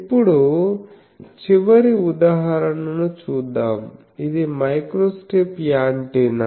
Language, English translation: Telugu, Now, we will see the last example that will be microstrip antenna